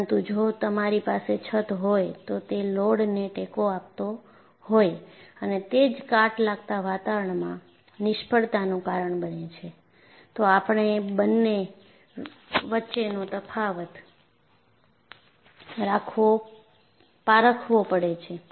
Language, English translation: Gujarati, But if you have a roof, which is supporting load and also in corrosive environment that causes failure, we have to distinguish the difference between the two